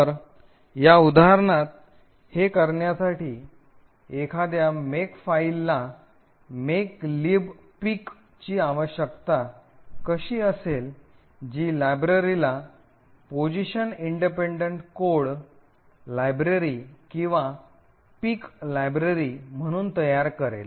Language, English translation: Marathi, So, in order to do this in this example how a makefile would require makelib pic which would generate the library as a position independent code library or a pic library